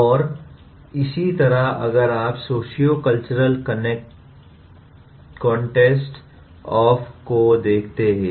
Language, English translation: Hindi, And similarly if you look at “sociocultural context of learning”